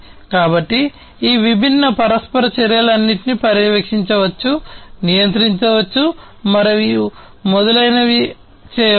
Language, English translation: Telugu, So, all these different interactions can be monitored, controlled, and so on